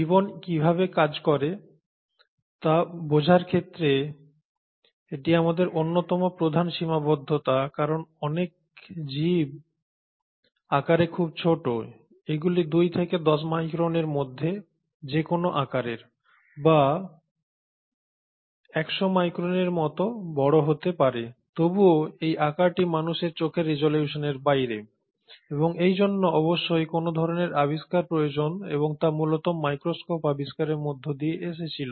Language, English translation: Bengali, Now this has been one of the major limitations in our understanding of how life works because a lot of these organisms are much smaller; they are about the size range of anywhere between 2 to 10 microns or they can be as big as 100 microns but yet this size is way below the resolution of human eye and this surely required some sort of invention and that came in mainly through the invention of microscopes